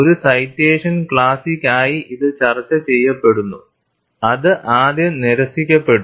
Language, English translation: Malayalam, 240 citations and it is discussed as a citation classic, which was originally rejected, it became a citation classic